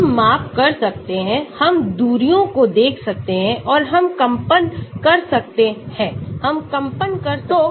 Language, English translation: Hindi, we can do measurements, we can look at distances and we can vibrate, we can do vibration